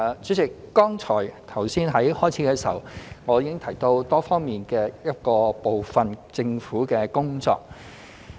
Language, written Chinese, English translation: Cantonese, 主席，剛才在開場發言中，我已提到政府多方面的部分工作。, President I have just mentioned in my opening speech some of the Governments multi - faceted work